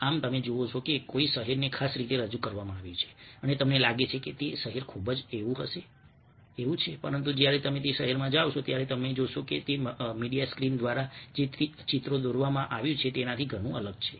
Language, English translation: Gujarati, so you see a city being presented in particular way and you feel that city is very much like that, but when you go to that city, you find that it is very different from what has been painted through the media screen, ok, through the television, through advertising and things like that